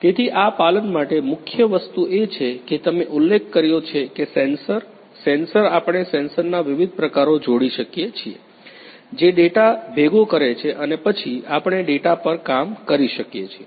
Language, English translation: Gujarati, So, for this compliance the main thing is that as you mentioned that the sensor, sensor we can engage different types of the sensor which collects the data and then we can work on that